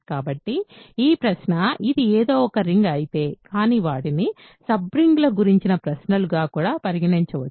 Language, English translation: Telugu, So, this question is about if something is a ring, but they can also be considered as questions about sub rings